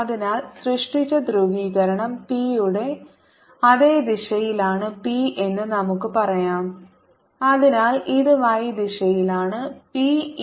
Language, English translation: Malayalam, so let us say that the polarization created is p in the same direction, its e